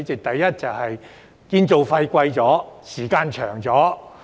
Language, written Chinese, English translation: Cantonese, 第一，建築費更高、時間更長。, To start with the construction cost is higher and the time taken is longer